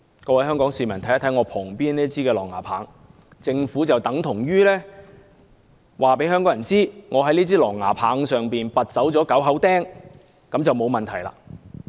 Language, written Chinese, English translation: Cantonese, 各位香港市民看看我旁邊這枝狼牙棒，政府等於告訴香港市民，只要在這枝狼牙棒上拔走9口釘便沒有問題。, I want the people of Hong Kong to take a look at this mace―the Government is in effect telling Hong Kong people that the solution to the problem is simply to take nine nails out of the mace which in fact will not change its lethal nature